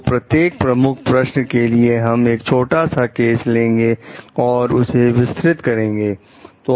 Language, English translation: Hindi, So, for each of the key questions maybe we will take up small short cases and try to like elaborate on that